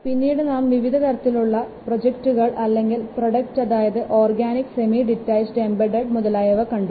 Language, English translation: Malayalam, We have also discussed the various types of projects or products such as organic, semi dutarched and embedded